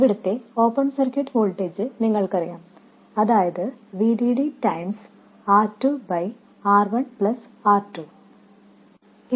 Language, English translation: Malayalam, You know the open circuit voltage here, that is VDD times R2 by R1 plus R2